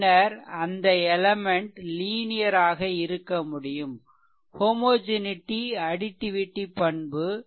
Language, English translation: Tamil, Then only you can say that element is linear it has to satisfy both homogeneity and additivity properties right